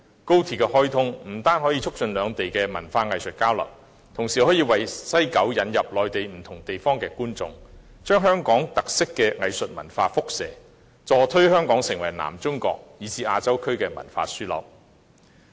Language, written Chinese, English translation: Cantonese, 高鐵的開通不單可以促進內地與香港的文化藝術交流，同時亦可為西九文化區引入內地不同地方的觀眾，把香港特色的藝術文化輻射，協助推動香港成為南中國以至亞洲區的文化樞紐。, The commissioning of XRL will not only promote cultural and artistic exchanges between the Mainland and Hong Kong but also introduce audiences from different parts of the Mainland to WKCD diffusing Hong Kongs unique art and culture and assisting in promoting Hong Kong as a cultural hub in South China and Asia